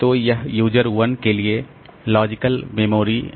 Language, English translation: Hindi, So, this is the logical memory for user 1